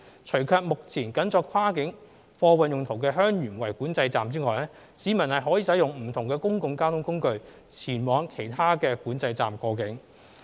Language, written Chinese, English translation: Cantonese, 除卻目前僅作跨境貨運用途的香園圍管制站外，市民可使用不同公共交通工具前往其他管制站過境。, Except for the Heung Yuen Wai Control Point which is currently use for cross - boundary cargo clearance only members of the public may use different means of public transport to access other control points for crossing the boundary